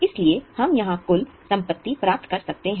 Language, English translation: Hindi, So, we get here the total of assets